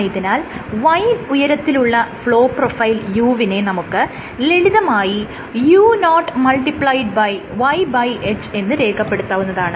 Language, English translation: Malayalam, So, you have flow profile u at height of y will be given as simply as u0 * y / H